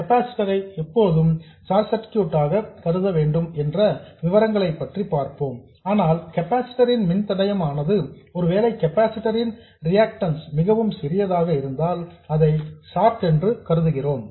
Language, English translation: Tamil, We will see the detailed criteria when to treat the capacitors a short but if the impedance of the capacitor, if the reactance of the capacitor is very small it can be treated as a short